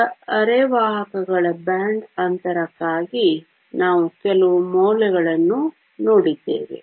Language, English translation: Kannada, So, we looked at some values for band gap of semiconductors